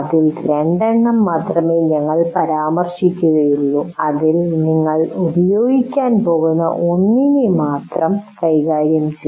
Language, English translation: Malayalam, We will only mention two out of which we'll only deal with one which we are going to use